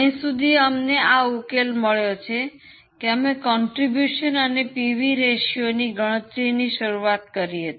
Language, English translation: Gujarati, We always start with calculation of contribution and PV ratio